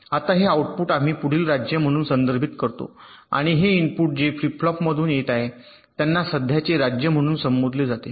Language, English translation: Marathi, now these outputs we refer to as the next state, and these inputs that are coming from the flip flop, they are referred to as the present state